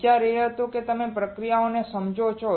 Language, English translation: Gujarati, The idea was that you understand the processes